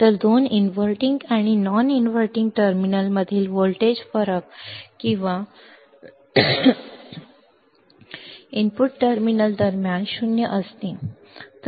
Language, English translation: Marathi, So, voltage difference between the two inverting and non inverting terminal or between the input terminals to be 0, to be 0 ok